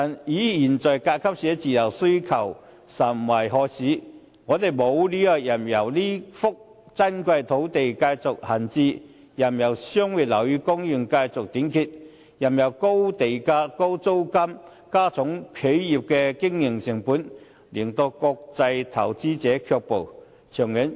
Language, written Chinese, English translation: Cantonese, 可是，現在甲級寫字樓的需求甚殷，有關方面實在沒理由任由這幅珍貴的土地繼續閒置，任由商業樓宇供應繼續短缺，任由高地價和高租金加重企業的經營成本，令國際投資者卻步。, Given the very keen demands for Grade A offices now it is indeed unreasonable to let this precious lot idle the short supply of commercial buildings persist and high land prices and rents add to the operating costs of enterprises thereby deterring international investors